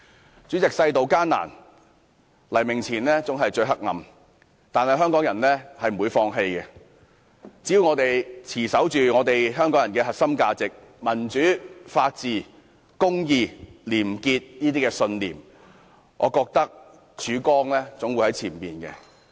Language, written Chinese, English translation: Cantonese, 代理主席，世道艱難，黎明前總是最黑暗的，但香港人不會放棄，只要我們持守着香港人的核心價值，即民主、法治、公義、廉潔的信念，前面總有曙光。, Deputy President times are hard but Hong Kong people will not give up for it is always darkest just before the dawn . As long as we uphold Hong Kong peoples core values namely our beliefs in democracy the rule of law justice and probity we will see the light at the end of the tunnel